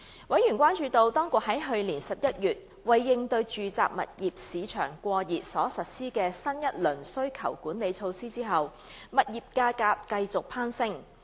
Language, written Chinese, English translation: Cantonese, 委員關注到，當局在去年11月為應對住宅物業市場過熱所實施的新一輪需求管理措施後，物業價格繼續攀升。, Members were concerned that property prices continued to soar despite the new round of demand - side management measure to address the overheated residential property market introduced last November